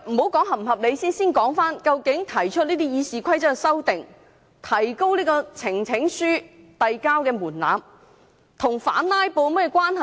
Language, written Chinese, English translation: Cantonese, 先不談是否合理，先說究竟提出這項《議事規則》修訂建議來提高有關門檻與反"拉布"有何關係呢？, Putting aside the question of whether it is reasonable . Let us talk about exactly how such a proposed amendment to RoP to raise the threshold is related to anti - filibuster